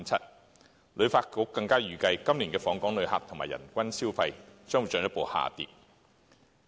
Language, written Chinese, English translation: Cantonese, 香港旅遊發展局更預計，今年的訪港旅客及人均消費將會進一步下跌。, The Hong Kong Tourism Board also estimates that the number of visitor arrivals and visitors per capita spending will further decline this year